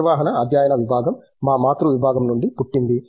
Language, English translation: Telugu, The department of management studies was born out of this parent department